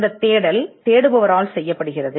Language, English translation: Tamil, And this search is done by the searcher